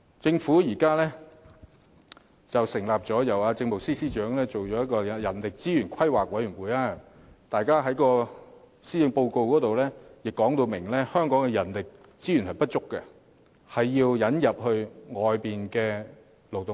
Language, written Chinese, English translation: Cantonese, 政府現在成立了一個由政務司司長擔任主席的人力資源規劃委員會，而施政報告亦表明香港人力資源不足，需要引入外來勞動力。, The Government has now set up the Commission for the Planning of Human Resources chaired by the Chief Secretary for Administration and the Policy Address has also clearly stated the need to import labour force from outside given the inadequacy in manpower resources in Hong Kong